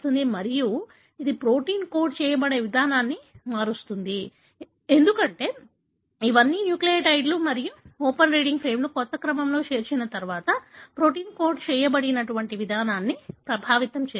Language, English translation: Telugu, Again, it would change the way the protein is being coded, because after all these are nucleotides and open reading frame is inserted in a new sequence, it is going to affect the way the protein being coded